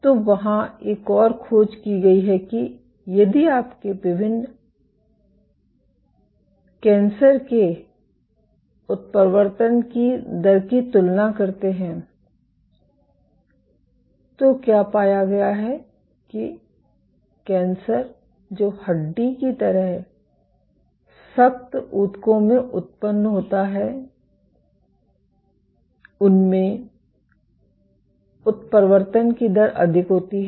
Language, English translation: Hindi, So, there has been another finding that if you compare the mutation rate of different cancers, what has been found that cancers which originate in stiffer tissues like bone have higher rates of mutation